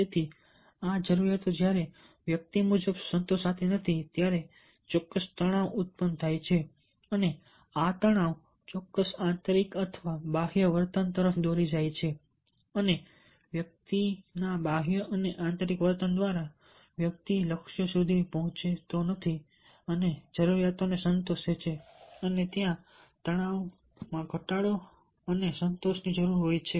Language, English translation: Gujarati, so this needs, when these are not satisfied, as per the individual, they wrote certain tensions and these tensions lead to certain internal or external behavior and by the external and internal behavior of the individual, the individual reaches the goal and satisfied the need and there is a tension reduction and need satisfaction